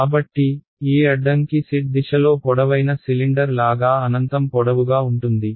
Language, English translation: Telugu, So, this obstacle is infinitely long in the z direction like a tall cylinder right